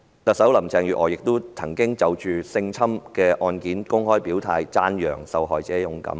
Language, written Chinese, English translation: Cantonese, 特首林鄭月娥亦曾就性侵事件公開表態，讚揚受害者勇敢。, Chief Executive Carrie LAM has openly stated her position on sexual abuse cases and complimented victims of such cases for their bravery